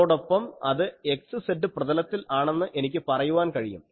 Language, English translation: Malayalam, And I can say that is in the x z plane ok